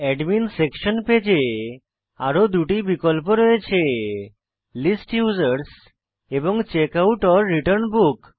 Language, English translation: Bengali, We can see that we have two more options in the Admin Section Page List Users and Checkout/Return Book